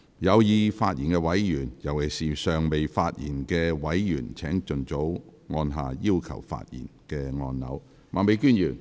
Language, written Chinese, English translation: Cantonese, 有意發言的委員，尤其是尚未發言的委員，請盡早按下"要求發言"按鈕。, Members who wish to speak especially those who have not yet spoken please press the Request to Speak button as soon as possible